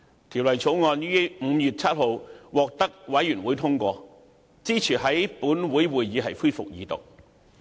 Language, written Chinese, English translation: Cantonese, 法案委員會於5月7日通過《條例草案》，支持在本會恢復二讀。, The Bills Committee endorsed on 7 May the resumption of the Second Reading debate in this Council